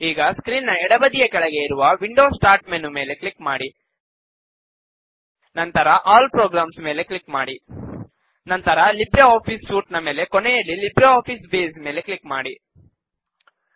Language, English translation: Kannada, Then, click on the Windows Start menu at the bottom left of the screen, then click on All Programs, then LibreOffice Suite,and LibreOffice Base